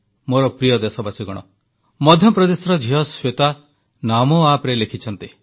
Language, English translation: Odia, My dear countrymen, young Shweta writes in from Madhya Pradesh on the NaMo app